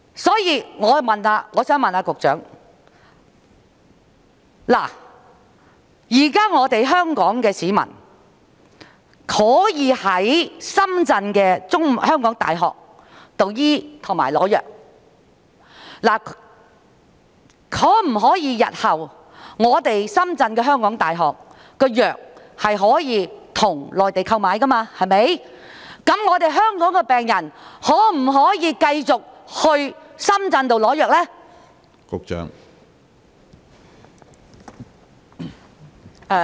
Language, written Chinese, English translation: Cantonese, 所以，我想問局長，現時香港市民可以在港大深圳醫院求醫和取得藥物，如果港大深圳醫院日後可以向內地購買藥物，香港的病人能否繼續在深圳取得藥物呢？, Therefore may I ask the Secretary given that Hong Kong people can now seek medical treatment and obtain drugs at HKU - SZH whether Hong Kong patients can continue to obtain drugs in Shenzhen if HKU - SZH can procure drugs from the Mainland in the future?